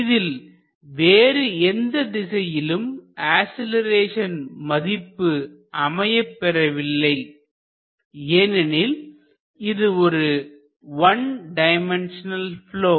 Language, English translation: Tamil, There is no acceleration along other any other direction because it is just a one dimensional flow